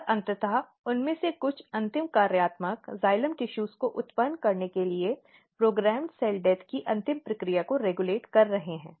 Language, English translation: Hindi, And then eventually some of them are regulating the final process of programmed cell death to generate a final functional xylem tissues